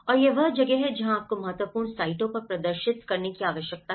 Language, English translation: Hindi, And this is where you need to demonstrate at important sites